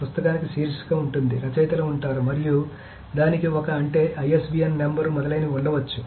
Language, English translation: Telugu, Book will have a title, we'll have authors, and it can have a, I mean, ISBN number, so on, so forth